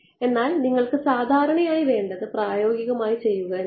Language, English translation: Malayalam, But what you want is usually done in practice is